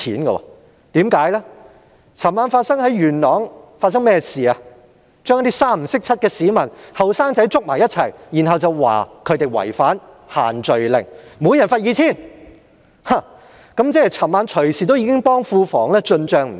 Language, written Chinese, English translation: Cantonese, 昨晚警方在元朗拘捕一些互不相識的市民及年輕人，指他們違反"限聚令"，每人罰款 2,000 元，即是昨晚已替庫房進帳不少。, Last night the Police arrested a number of unrelated people and youngsters in Yuen Long and accused them of breaching the group gathering ban . Each of them was fined 2,000 . Hence a lot of money was credited to the public coffers last night